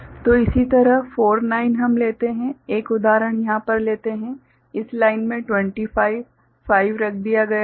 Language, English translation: Hindi, So, similarly 4, 9, we take up just say, one example over here say 25 5 has been put; so, in this line